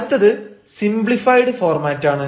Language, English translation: Malayalam, next is the simplified format